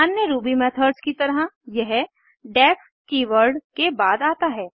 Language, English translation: Hindi, Like other Ruby methods, it is preceded by the def keyword